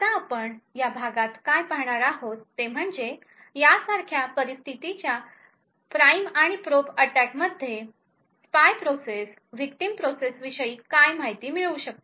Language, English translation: Marathi, Now what we will see in this lecture is that in a prime and probe attack in situation such as this it is possible for the spy process to gain some information about the victim process